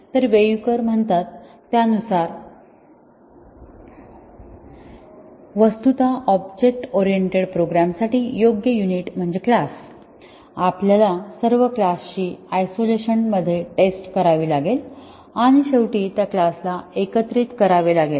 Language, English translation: Marathi, So, that is Weyukar, actually the suitable unit for object oriented programs is class, we need to test all classes in isolation and then finally, integrate those classes